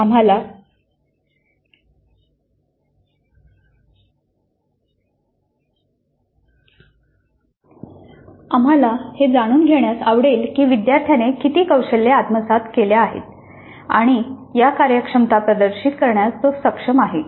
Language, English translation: Marathi, Now we would like to know what is the extent to which the student has acquired these competencies and is able to demonstrate these competencies